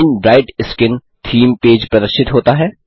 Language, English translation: Hindi, The Shine Bright Skin theme page appears